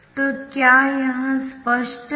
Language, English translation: Hindi, thats pretty obvious